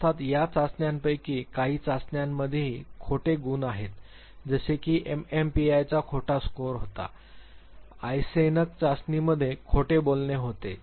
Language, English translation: Marathi, Of course, some of this tests have lie scores has well like a MMPI had a lie score, Eyesenck test had a lie score